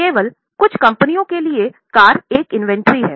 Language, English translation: Hindi, Only for certain companies car is an inventory